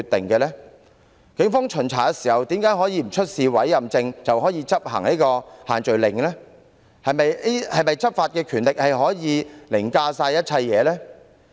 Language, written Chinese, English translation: Cantonese, 警方在巡查時為何無須出示委任證，便可執行限聚令，是否執法權力可凌駕一切？, How come police officers were allowed to carry out inspections and enforce the social gathering restrictions without showing their Police Warrant Cards? . Can law enforcement power override everything?